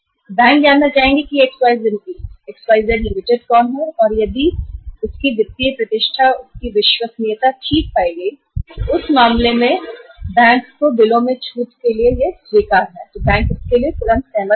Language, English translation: Hindi, Bank would like to know who is this XYZ Limited and if their financial reputation, their credibility is found okay, acceptable to the bank in that case bank would immediately agree to discount the bills